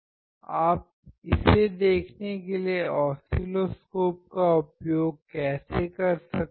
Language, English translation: Hindi, How you can use the oscilloscope to look at it